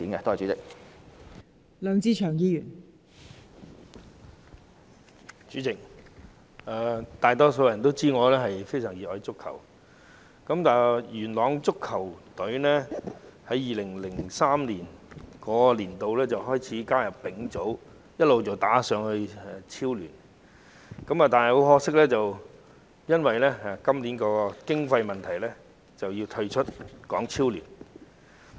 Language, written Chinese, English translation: Cantonese, 代理主席，很多人都知道我非常熱愛足球，佳聯元朗球隊自2003年開始加入丙組，後來升上港超聯，但很可惜，今年因經費問題要退出港超聯。, Deputy President many people know that I am a great football fan . Best Union Yuen Long has joined the Third Division since 2003 and it was later promoted to HKPL . Unfortunately it has to withdraw from HKPL this year due to funding problems